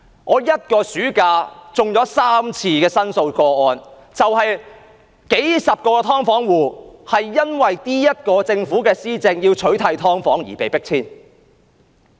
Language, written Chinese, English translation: Cantonese, 我一個暑假便接了3宗申訴個案，數十個"劏房戶"因為政府在施政上要取締"劏房"而被迫遷。, I received three complaint cases in one summer . Dozens of tenants of subdivided units had been evicted as a result of the Governments administrative measures to eradicate subdivided units